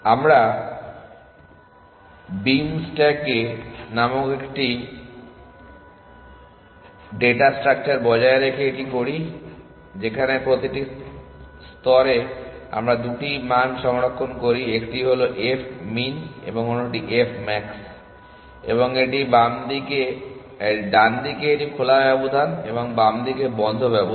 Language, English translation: Bengali, We do it by maintaining another data structure called the beam stack, where at each layer we store 2 values 1 is f min and the other is f max and it is a open interval on the right hand side and close interval on the left hand side